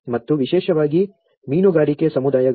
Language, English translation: Kannada, And especially, in the fishing communities